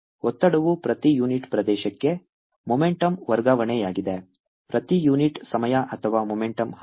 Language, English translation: Kannada, pressure is momentum transfer per unit area, per unit time, or momentum flow